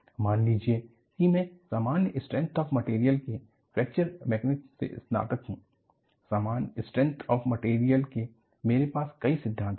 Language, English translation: Hindi, Suppose, I graduate from simple strength of materials to Fracture Mechanics, in simple strength of material itself, I had many theories